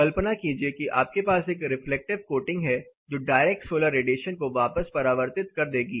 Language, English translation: Hindi, Imagine you have a reflective coating here which is going to reflect back the direct solar radiation